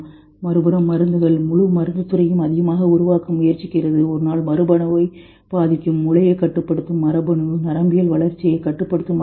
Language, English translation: Tamil, Drugs on the other hand, whole pharmaceutical industry is trying to create more and someday we will affect gene, maybe the gene which controls brain, the gene which controls neuronal development